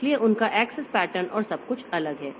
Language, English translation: Hindi, So, they are access patterns and everything is different